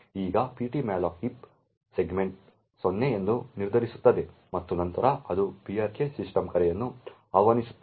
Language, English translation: Kannada, Now the ptmalloc would determining that the heap segment is 0 and then it would invoke the brk system call